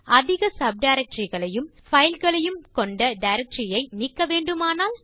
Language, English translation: Tamil, What if we want to delete a directory that has a number of files and subdirectories inside